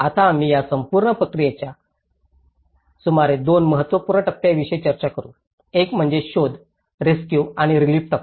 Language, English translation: Marathi, Now, we will discuss about 2 important phases of this whole process; one is the search, rescue and the relief phase